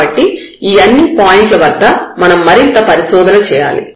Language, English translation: Telugu, So, at all these points we need to further investigate